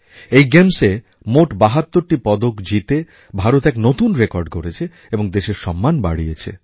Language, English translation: Bengali, These athletes bagged a tally of 72 medals, creating a new, unprecedented record, bringing glory to the nation